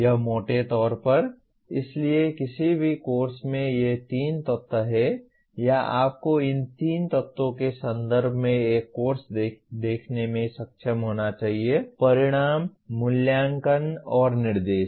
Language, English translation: Hindi, That is broadly, so any course has these three elements or you should be able to view a course in terms of these three elements; outcomes, assessment, and instruction